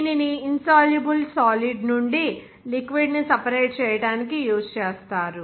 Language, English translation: Telugu, It is also used to separate a liquid from an insoluble solid